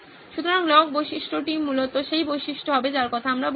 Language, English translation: Bengali, So log feature would be essentially the feature that we are talking about